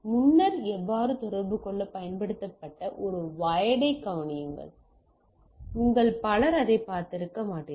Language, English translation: Tamil, Consider a wire that previously how used to communicate, there is a many of you might have not seen that